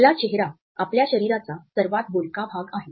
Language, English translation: Marathi, Our face is the most expressive part of our body